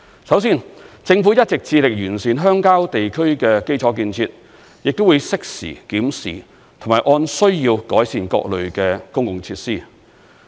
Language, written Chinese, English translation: Cantonese, 首先，政府一直致力完善鄉郊地區的基礎建設，亦會適時檢視，並按需要改善各類公共設施。, The first point is that the Government has striven to improve infrastructure development in rural areas . It will conduct timely examination of various public facilities and undertake any improvements on a need basis